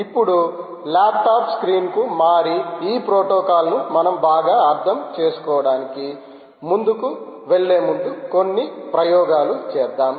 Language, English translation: Telugu, so now lets shift to the laptop screen and do a few experiments before we move on to understand this protocol even better as we go along